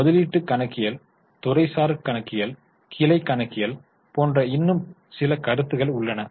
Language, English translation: Tamil, There are a few more concepts like investment accounting, departmental accounting, branch accounting